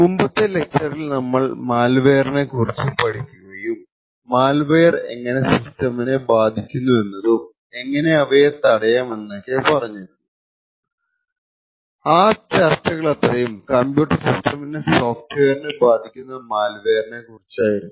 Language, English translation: Malayalam, In the previous lectures in this particular course we had looked at malware and we had talked about a lot of techniques by which malware could affect the system and also how these malware could actually be prevented, but all of these discussions were related to malware which affects the software of the computer system